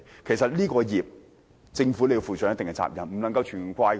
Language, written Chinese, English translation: Cantonese, 其實這個罪孽政府要負上一定責任，不能完全怪責他們。, In fact the Government should be held culpable and we cannot completely blame them